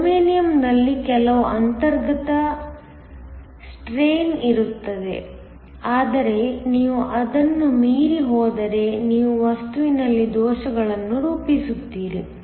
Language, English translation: Kannada, There will be some inherence strain in the germanium, but if you go beyond that you are going to form defects in the material